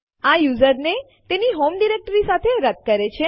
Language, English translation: Gujarati, This is to remove the user along with his home directory